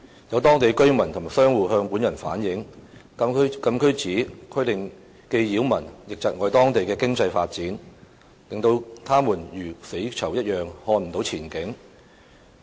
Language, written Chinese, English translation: Cantonese, 有當地居民及商戶向本人反映，禁區紙規定既擾民亦窒礙當地的經濟發展，令他們如"死囚"一樣看不到前景。, Some residents and traders in the area have relayed to me that the CAP requirement not only causes nuisance to the residents concerned but also hinders economic development there leaving them not being able to see any future like prisoners on death row